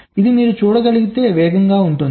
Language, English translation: Telugu, this will much faster, as you can see